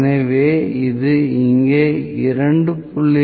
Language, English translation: Tamil, So this, this 2